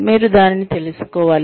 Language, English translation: Telugu, You just have to know it